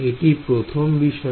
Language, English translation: Bengali, That’s the first thing